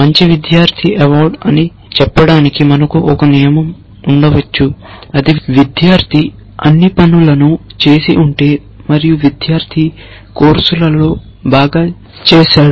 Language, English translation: Telugu, We could have a rule for example to say, good student award which might say that if the student has done all the assignments and the student has done well in courses